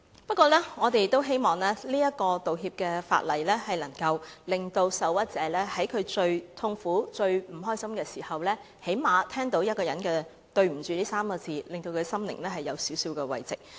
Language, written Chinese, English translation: Cantonese, 不過，我們亦希望這項道歉法例能令受屈者在最痛苦及最不快樂的時候，最低限度聽到一個人說"對不起 "3 個字，讓他的心靈得到少許慰藉。, That said we also wish that this law can at least bring an apology thereby some relief to the aggrieved persons during their most painful and difficult moments